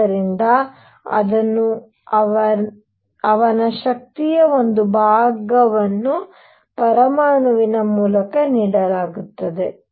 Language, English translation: Kannada, So, it is given part of his energy through the atom